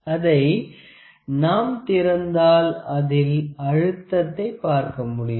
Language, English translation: Tamil, If we open it, if we open it we can also see the depth you can see